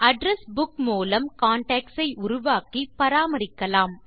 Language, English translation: Tamil, You can use the Address Book to create and maintain contacts